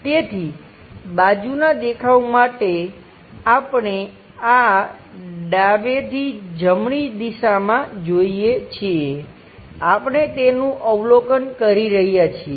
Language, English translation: Gujarati, So, for side view, we are looking from this direction from left to right we are observing it